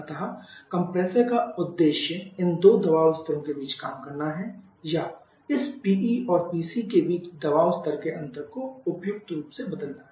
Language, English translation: Hindi, So the purpose of the compressor is to operate between these two pressure levels are to change the pressure level of the difference between this PE and PC suitably